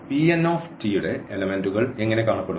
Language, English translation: Malayalam, So, this P n t; so, how the elements of P n t look like